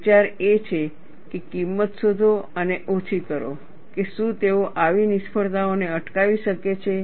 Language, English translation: Gujarati, The idea is, find out the cost and mitigate, whether they could prevent such failures